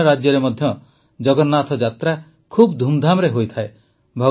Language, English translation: Odia, In other states too, Jagannath Yatras are taken out with great gaiety and fervour